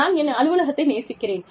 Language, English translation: Tamil, I will love my office